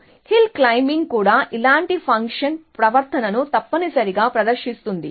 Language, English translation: Telugu, So, hill climbing can also behave a similar fashion behavior essentially